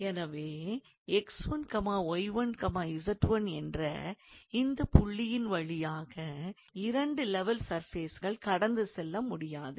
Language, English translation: Tamil, So, there cannot be two level surfaces that will pass through this point x 1, y 1, z 1